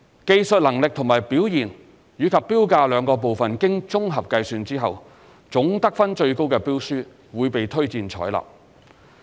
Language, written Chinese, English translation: Cantonese, 技術能力及表現與標價兩部分經綜合計算後，總得分最高的標書會被推薦採納。, After summation of the technical and price scores the tender with the highest overall score will be recommended for acceptance